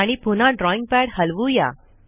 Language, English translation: Marathi, And again move the drawing pad